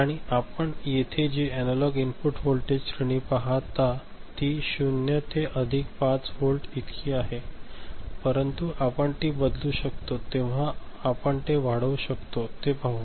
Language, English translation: Marathi, And the analog input voltage range that you see over here is 0 to plus 5 volt as such, but we shall see how we can increase, when we can change it, ok